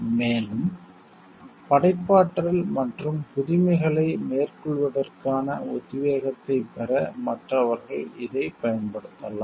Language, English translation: Tamil, These can be used by other people for carrying out derive inspiration for carrying out further creativity and innovation